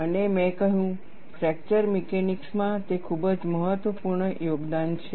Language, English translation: Gujarati, And I said, it is a very important contribution to fracture mechanics